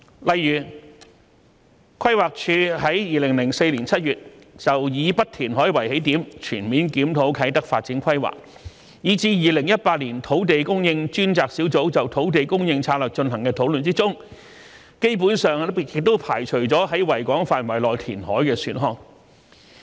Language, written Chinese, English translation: Cantonese, 例如，規劃署於2004年7月就"以不填海為起點"，全面檢討啟德發展規劃，以至2018年土地供應專責小組就土地供應策略進行的討論中，基本上排除了在維港範圍內填海的選項。, For example in July 2004 the Planning Department commenced a comprehensive planning review on Kai Tak Development with no reclamation as the starting point . As a result the Task Force on Land Supply basically ruled out the option of reclamation within the Victoria Harbour in its discussion of land supply strategy in 2018